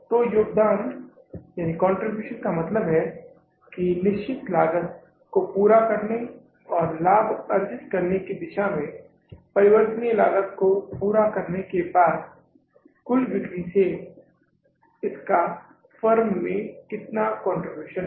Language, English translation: Hindi, So, contribution means how much contribution this firm has from their total sales and after meeting the variable cost towards meeting the fixed cost and earning the profits